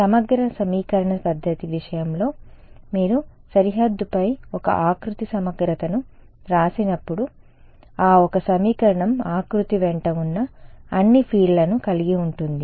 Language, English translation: Telugu, In the case of the integral equation method when you write a contour integral on the boundary, that one equation involves all the fields along the contour